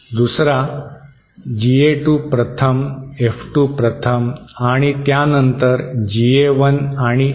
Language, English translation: Marathi, Another, GA2 1st, F2 1st and then followed by GA1 and F1